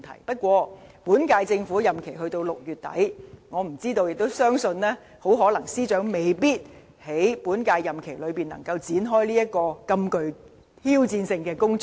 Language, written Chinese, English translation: Cantonese, 不過，本屆政府任期只到6月底，司長很可能未必能在本屆任期內，展開這項如此具挑戰性的工作。, However with the current Governments term of office expiring in late June the Secretary may not likely be able to kick - start this challenging task within this term